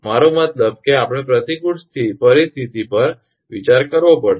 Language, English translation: Gujarati, I mean we have to consider the adverse scenario